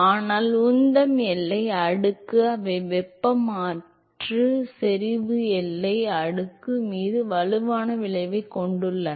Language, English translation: Tamil, But the momentum boundary layer they have a strong effect on the thermal and the concentration boundary layer